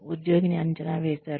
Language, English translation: Telugu, The employee has been appraised